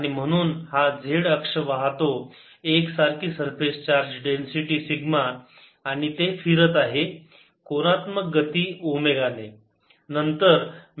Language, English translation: Marathi, therefore, this is the z axis, carries the uniform surface charge, density, sigma and is rotating with angular speed, omega